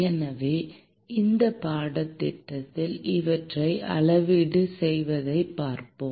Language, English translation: Tamil, So, we will also look at quantifying these as well in this course